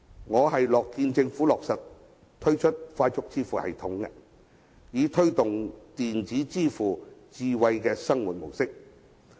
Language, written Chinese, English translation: Cantonese, 我樂見政府推出快速支付系統，以推動電子支付的智慧生活模式。, I am pleased to see the introduction of FPS for the promotion of smart living facilitated by the electronic payment system